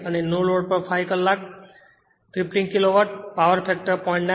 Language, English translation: Gujarati, 8 right and your 5 hour, 15 Kilowatt, power factor 0